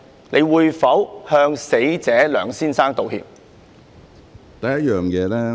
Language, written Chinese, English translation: Cantonese, 你會否向死者梁先生道歉？, Will you apologize to the deceased Mr LEUNG?